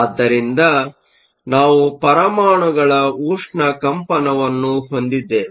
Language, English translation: Kannada, So, we have thermal vibration of the atoms